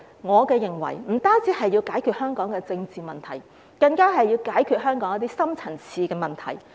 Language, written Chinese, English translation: Cantonese, 我認為不只是要解決香港的政治問題，更要解決香港一些深層次問題。, I think that this aims to not only solve the political problems in Hong Kong but also solve some of its deep - rooted problems